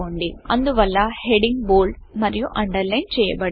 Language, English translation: Telugu, Hence the heading is now bold as well as underlined